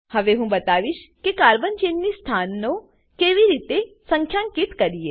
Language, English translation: Gujarati, Now I will demonstrate how to number the carbon chain positions